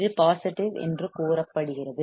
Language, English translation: Tamil, It is said to be positive